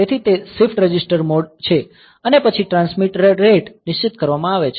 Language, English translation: Gujarati, So, it is the shift register mode and then the transmitter rate is fixed